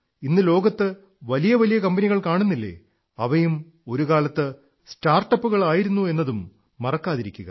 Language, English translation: Malayalam, And you should not forget that the big companies which exist in the world today, were also, once, startups